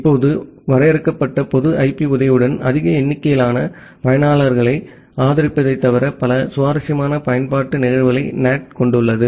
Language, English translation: Tamil, Now, NAT has multiple interesting use cases apart from supporting more number of users with the help of a limited public IP